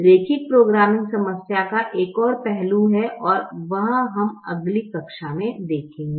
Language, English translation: Hindi, there is one more aspect to the linear programming problem and that we will see in the next class